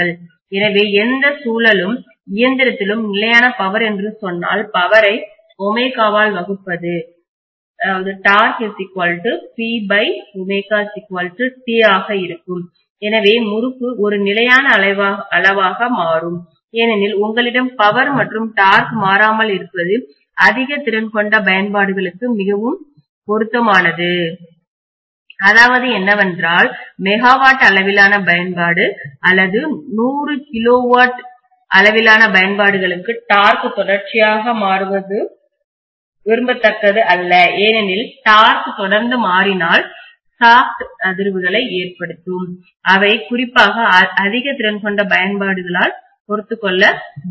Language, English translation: Tamil, So if I say constant power, power divided by omega is going to be torque in any rotating machine, so the torque also becomes a constant quantity roughly, because you have the power and torque to be constant it is very suitable for high capacity applications, what is mean is mega watt level application or even 100 of kilowatt level applications, you do not want the torque to change continuously, if the torque changes continuously you are going to have vibrations in the shaft, which can not be tolerated especially at high capacity applications